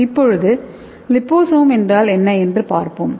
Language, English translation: Tamil, So let us see what is liposome